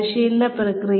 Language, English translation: Malayalam, The training process